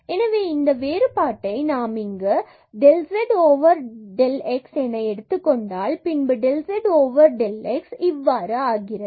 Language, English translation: Tamil, So, we will take this difference here and then so, del z over del x here this will become plus